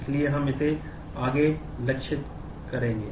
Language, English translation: Hindi, So, that is what we will target henceforth